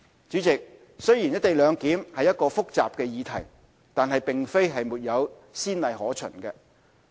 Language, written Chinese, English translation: Cantonese, 主席，雖然"一地兩檢"是一個複雜的議題，但並非沒有先例可循。, President despite co - location being a complicated issue it is not without precedents